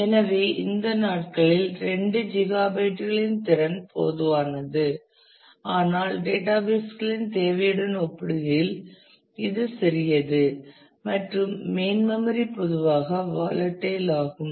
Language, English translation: Tamil, So, the capacity of couple of gigabytes are common these days, but still it is small compare to the requirement of the databases and main memory typically is volatile